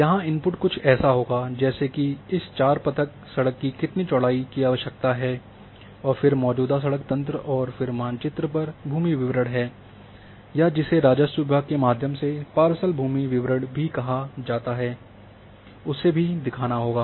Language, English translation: Hindi, So, there will be few inputs one is that how much width is required for four lane that input has to come and then the road existing road network is there and then land records or also which are also called parcels land records through revenue department has to come that map